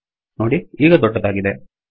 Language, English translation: Kannada, See its bigger